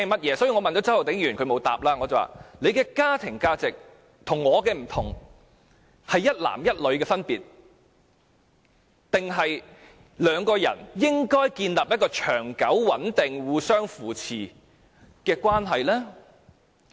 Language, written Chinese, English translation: Cantonese, 我曾經問周浩鼎議員，他的家庭價值與我的不同，分別在於一男一女，還是兩個人應該建立一個長久、穩定、互相扶持的關係呢？, I have once asked Mr Holden CHOW whose family values are different from mine this question . Does the difference lies in the view that a relationship should involve one man and one woman or that two people should build a relationship that is lasting stable and mutually supportive?